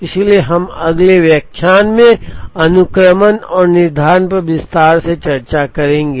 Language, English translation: Hindi, So, we would go into detail on sequencing and scheduling in the next lecture